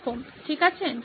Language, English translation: Bengali, Okay, thank you